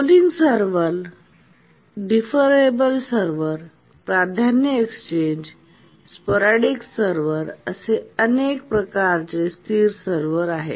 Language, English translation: Marathi, There are several types of static servers, the polling server, deferable server, priority exchange and sporadic server